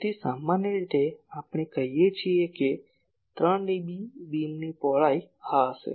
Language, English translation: Gujarati, So, generally we say 3 dB beam width will be this